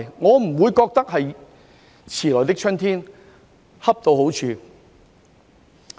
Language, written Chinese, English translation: Cantonese, 我不會覺得這是"遲來的春天"，而是恰到好處。, Instead of considering this a belated spring I find it just right